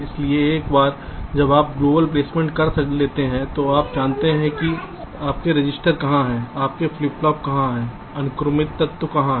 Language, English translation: Hindi, so once you have done global placement, you know where your registers are, where your flip pops are, the sequential elements